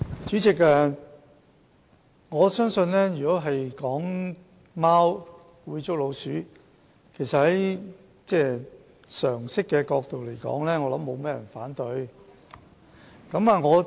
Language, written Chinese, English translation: Cantonese, 主席，如果說貓會捉老鼠，從常識的角度來說不會有人反對。, President from the perspective of common sense nobody will dispute the fact that cats prey on rodents